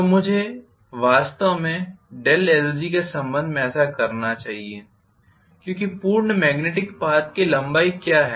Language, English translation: Hindi, So, I should be actually doing this with respect to doh lg because that is what is the length of the complete magnetic path